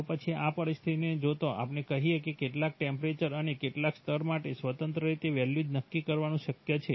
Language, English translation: Gujarati, Then given this situation is it possible to independently set values for, let us say, some temperature and some level